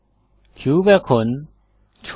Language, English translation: Bengali, The cube is now scaled